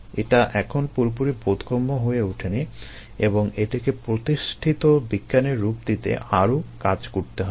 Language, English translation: Bengali, it's not fully understood even today and ah more works needs to be done to be able to bring it down to a firm science